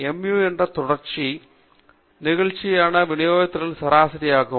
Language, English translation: Tamil, Mu is the mean of the continuous probability distribution function